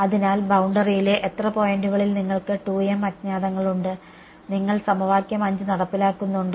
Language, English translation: Malayalam, So, you have 2 m unknowns at how many points on the boundary are you testing are you enforcing equation 5